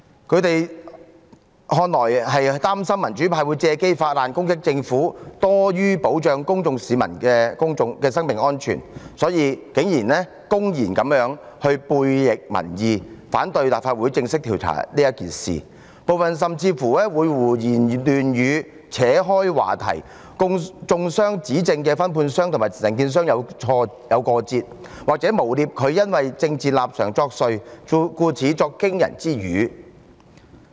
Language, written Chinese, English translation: Cantonese, 他們似乎是擔心民主派會藉機發難攻擊政府多於保障市民生命安全，因此竟然公然悖逆民意，反對立法會正式調查此事，部分議員甚至胡言亂語，轉移話題，中傷站出來揭發問題的分判商，指稱他和承建商有過節，又或誣衊他因政治立場作祟，才會語出驚人。, It seems they worried that the pro - democracy camp would take the opportunity to attack the Government rather than aiming at safeguarding the safety of members of the public . And so they objected to initiating official inquiry into the matter by the Legislative Council regardless that it was against public opinion . Meanwhile some Members deliberately talked nonsense or changed the subject by alleging that the subcontractor blew the whistle only because he was at loggerheads with the contractor